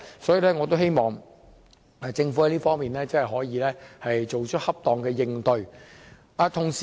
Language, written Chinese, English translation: Cantonese, 所以，我希望政府在這方面，可以作出恰當的應對。, Hence I hope that the Government can have appropriate measures to deal with the situation